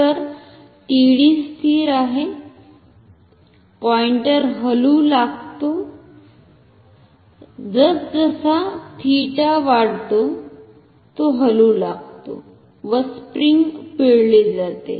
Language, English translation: Marathi, So, TD is constant, the pointer starts to move and as it starts to move as theta increases the spring is twisted